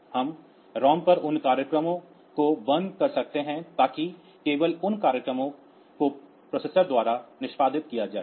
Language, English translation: Hindi, So, we can just lower we can burn those programs on to the ROM so that, this programs can though only those programs will be executed by the processor